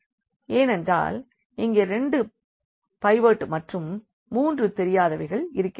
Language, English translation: Tamil, So, in this case we got in only two pivots and there were three unknowns